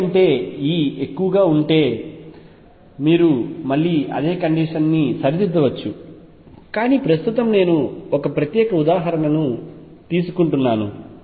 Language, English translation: Telugu, If E is greater than V you can again right the same condition, but right now am just taking one particular example